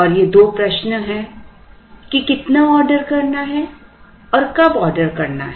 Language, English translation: Hindi, And these two questions are how much to order and when to order